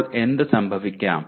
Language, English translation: Malayalam, Now what can happen